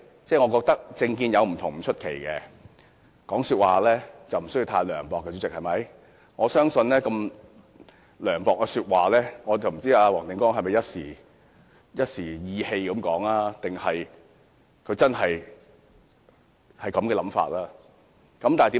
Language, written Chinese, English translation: Cantonese, 議員政見有不同不奇怪，但說話不用太涼薄，黃定光議員說出如此涼薄的話，我不知道他是一時意氣，還是他真的有這種想法。, It is not surprising that Members hold different political views but they need not make such mean and shameful remarks . I wonder whether Mr WONG Ting - kwong has acted on impulse or he really means what he says